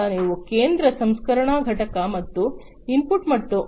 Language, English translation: Kannada, Then you have the central processing unit and the input and output